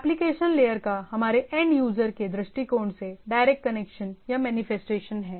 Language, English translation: Hindi, So application layer has a direct connection or manifestation to our, this end user perspective